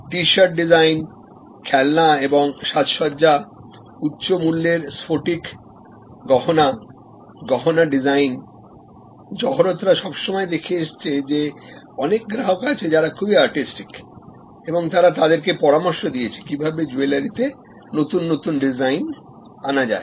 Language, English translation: Bengali, T shirt design, toys and decoration, high price crystal jewelry, jewelry design, jewelers new, all alone that there where customers who were quite artistic and they advice the jeweler to create new designs